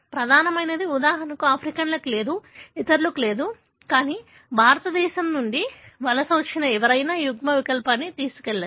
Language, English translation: Telugu, The main like, for example Africans do not have, others do not have, but whoever migrated from India may carry this allele